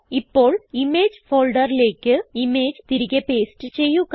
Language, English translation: Malayalam, Now paste the image back into the image folder